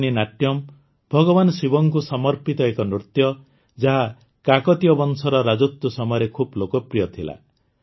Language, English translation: Odia, Perini Natyam, a dance dedicated to Lord Shiva, was quite popular during the Kakatiya Dynasty